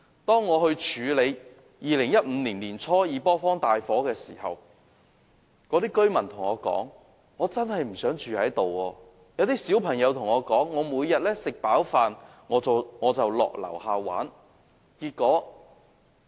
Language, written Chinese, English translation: Cantonese, 當我處理2015年年初的二坡坊大火時，居民對我說他們真的不想住在那裏，還有小朋友對我說，他們每天吃飯後便到樓下玩耍。, When I handled the case related to the fire that broke out at Yi Pei Square in early 2015 the residents told me they did not want to live there . Some children told me they would go downstairs to play after their meals every day